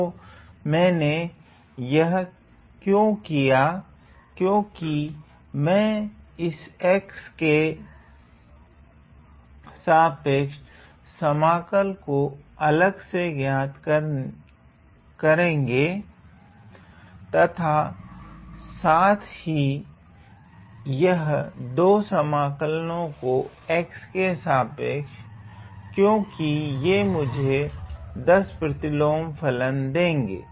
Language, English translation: Hindi, So, why I did this because, I can separately evaluate this integral with respect to X and also these 2 integrals with respect to X because, they are going to give me the tan inverse function